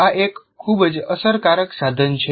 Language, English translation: Gujarati, This can be very powerful